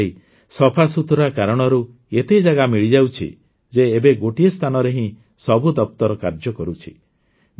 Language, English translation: Odia, These days, due to this cleanliness, so much space is available, that, now, all the offices are converging at one place